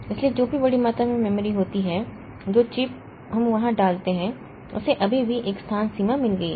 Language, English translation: Hindi, So, whatever be the big amount of memory chip we put there, still it has got a space limitation